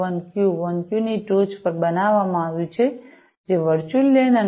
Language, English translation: Gujarati, 1Q 1Q, which is the standard for the virtual LANs and the 802